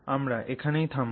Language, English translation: Bengali, We will halt here